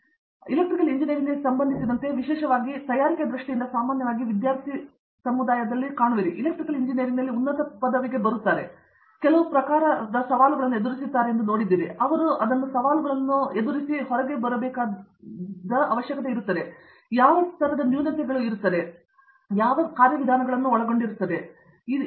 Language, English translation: Kannada, But, other than that specifically for Electrical Engineering in terms of their preparation that you normally see among the student community, that is coming in for higher degree in Electrical Engineering, did you see that they face certain types of you know, handicaps that they need to overcome for which then they are involving certain mechanisms here and if so what